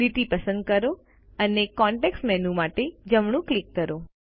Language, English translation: Gujarati, Select the line and right click for the context menu